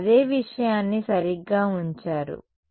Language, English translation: Telugu, You put the same thing right